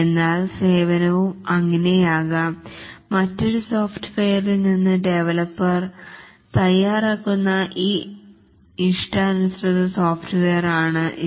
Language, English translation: Malayalam, But then the service can also be that it's a custom software which the developer tailors from another software